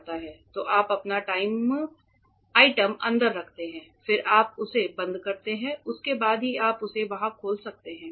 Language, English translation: Hindi, So, you keep your item inside then you close it then only can you open it there